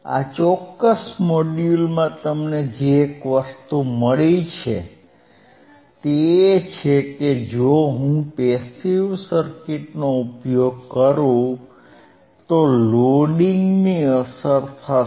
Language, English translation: Gujarati, The one thing that you got in this particular module is that, if I use a passive circuit, passive circuit then there will be a effect of Loading